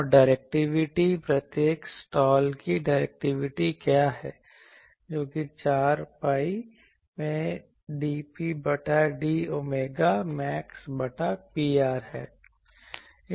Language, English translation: Hindi, And directivity what is directivity of each slot comes out to be that 4 pi into that dP by d ohm max by P r